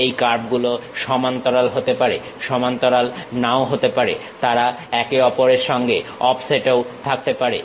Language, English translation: Bengali, These curves might be parallel, may not be parallel; they might be offset with each other also